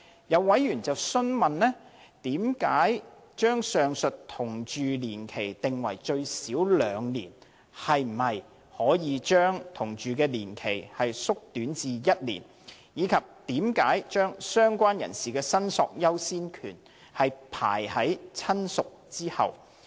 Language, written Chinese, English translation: Cantonese, 有委員詢問，為何把上述的同住期定為最少兩年和可否將該同住期縮短至1年，以及為何把"相關人士"的申索優先權排於"親屬"之後。, Some members ask about the basis of setting the prescribed living period to two years and whether it could be shortened to one year . They also ask about the rationale for according lower priority to a related person than a relative in claiming for the return of ashes of a deceased person